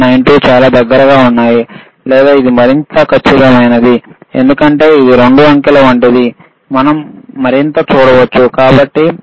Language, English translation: Telugu, 92 are extremely close or or this is more accurate, because this is like 2 digit we can see further after right so, so 5